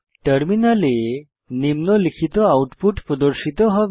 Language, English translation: Bengali, The following output will be displayed on the terminal